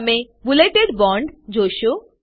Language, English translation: Gujarati, You will see a bulleted bond